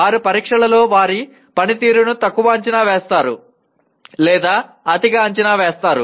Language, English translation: Telugu, Either they underestimate or overestimate their performance in tests